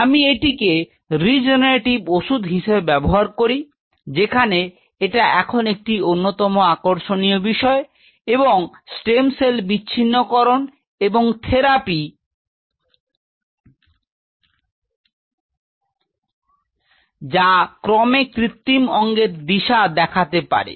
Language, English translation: Bengali, I use this as a regenerative medicine, where which is one of the very fashionable topics currently and the stem cell differentiation and therapy, and which eventually may lead to artificial organs